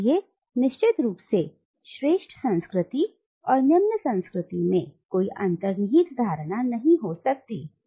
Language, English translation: Hindi, So, of course, there cannot be any inherent notion of a superior culture and an inferior culture